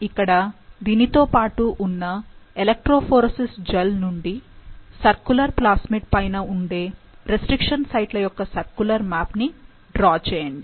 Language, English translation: Telugu, From the accompanying diagram of an electrophoresis gel, draw a circular map of the restriction sites on the circular plasmid